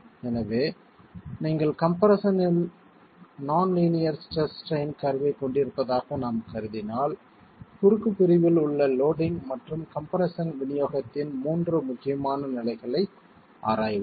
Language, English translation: Tamil, So if we were to assume that you have a nonlinear stress strain curve in compression, then let's examine three critical stages of loading and the distribution of compression in the cross section